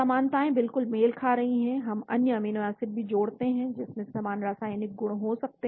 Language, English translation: Hindi, identity is exactly matching, similarities we also add other amino acids which may have similar chemical properties